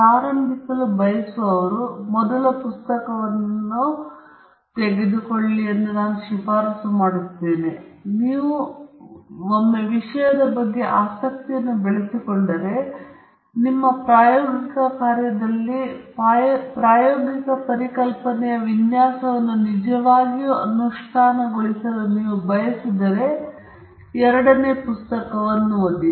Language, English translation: Kannada, For those of you who want to get started, the first book is recommended, and once you develop interest in the subject, and you want to really implement the design of experiments concept in your experimental work, then you can start looking at the second book